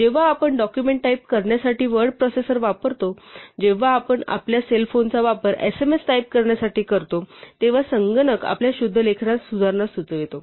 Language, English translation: Marathi, When we use the word processor to type a document or even when we use our cell phones to type sms messages, the computer suggests correction in our spelling